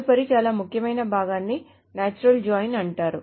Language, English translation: Telugu, The next very important part is called a natural joint